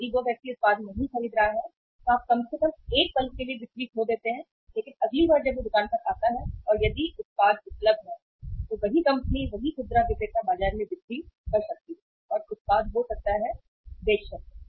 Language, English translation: Hindi, If the person is not buying the product at least you lost the sale for a moment but next time he or she goes to the store and if the production is available, same company same retailer could make the sales in the market and the product could be sold